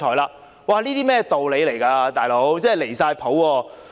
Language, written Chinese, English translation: Cantonese, 這是甚麼道理，"老兄"，真的"離晒譜"。, What kind of reasoning is this? . Buddy this is utterly outrageous